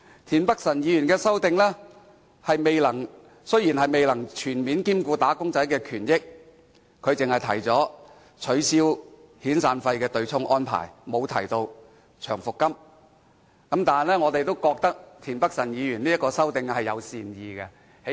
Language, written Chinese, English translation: Cantonese, 田北辰議員的修正案雖然未能全面兼顧"打工仔"的權益，只是提出取消遣散費的對沖安排，而沒有提出取消長期服務金的對沖安排，但我們認為田北辰議員的修正案是出於善意的。, As for Mr Michael TIENs amendment though it fails to give full regard to the interests of wage earners in which only the abolition of the offsetting arrangement for severance payment but not that for long service payment is proposed we consider Mr Michael TIENs amendment an act of goodwill